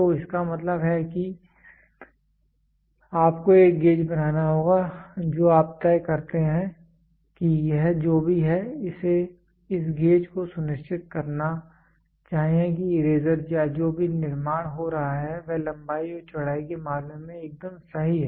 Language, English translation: Hindi, So that means, to say you have to make a gauge you decide whatever it is this gauge should make sure that the eraser whatever is getting manufactured is perfect in terms of length and width